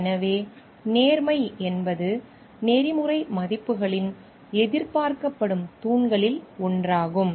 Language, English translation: Tamil, So, honesty is one of the expected pillars of ethical values